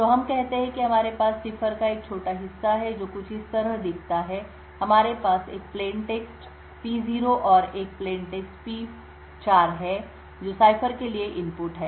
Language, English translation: Hindi, So, let us say that we have a small part of the cipher which looks something like this, we have a plain text P 0 and a plain text P 4 which is the input to the cipher